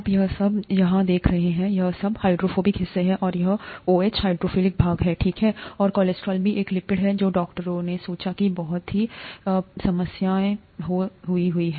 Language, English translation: Hindi, You see all this here, all this is the hydrophobic part, and this OH is the hydrophilic part, okay, and the cholesterol is also a lipid that doctors thought caused so many problems earlier